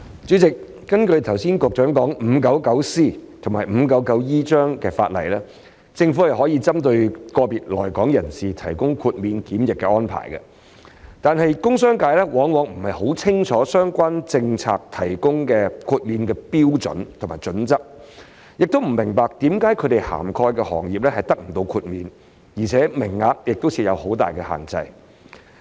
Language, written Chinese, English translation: Cantonese, 主席，根據局長剛才提及的第 599C 章及第 599E 章法例，政府可以針對個別來港人士作出豁免檢疫的安排，但工商界往往不甚清楚在相關政策下提供豁免的標準及準則，亦不明白為何他們涵蓋的行業不獲豁免，而且名額亦有很大限制。, President under Cap . 599C and Cap . 599E which the Secretary mentioned just now the Government may grant quarantine exemptions to individuals arriving at Hong Kong but the industrial and commercial sectors often do not quite understand the criteria and standards for granting exemptions under the relevant policy nor do they understand why the industries they cover are not exempted and the quotas are very limited